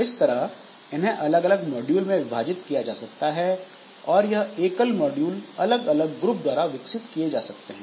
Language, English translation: Hindi, So, they may be divided into different modules and then this individual modules may be developed by different groups